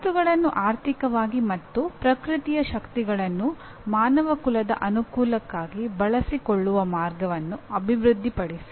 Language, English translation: Kannada, Develop ways to utilize economically the materials and forces of nature for the benefit of mankind